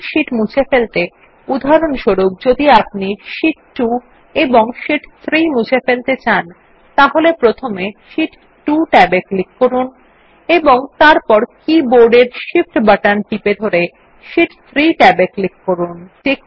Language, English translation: Bengali, In order to delete multiple sheets, for example, if we want to delete Sheet 2 and Sheet 3 then click on the Sheet 2 tab first and then holding the Shift button on the keyboard, click on the Sheet 3tab